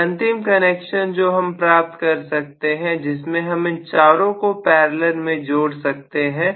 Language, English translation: Hindi, And of course the last type of connection, I can have all 4 of them coming in parallel, right